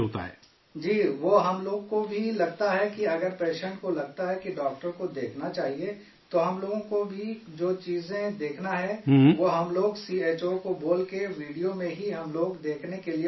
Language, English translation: Urdu, Ji… we also feel that if the patient feels that he should see the doctor, then whatever things we want to see, we, by speaking to CHO, in the video only, we ask to see